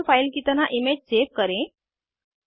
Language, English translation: Hindi, * Save the image as .mol file